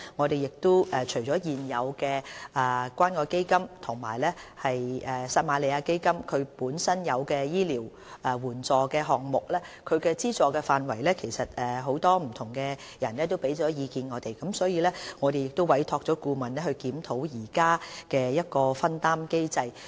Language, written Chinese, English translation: Cantonese, 對於現時關愛基金及撒瑪利亞基金醫療援助項目的資助範圍，很多人曾向我們提出意見，我們已委託顧問檢討現時的藥費分擔機制。, Many people have expressed their views about the scope of the Samaritan Fund and CCF Medical Assistance Programmes and we have also commissioned a consultancy study to review the current patients co - payment mechanism